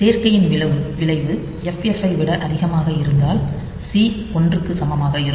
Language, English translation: Tamil, So, if C equal to one if the result of add is greater than FF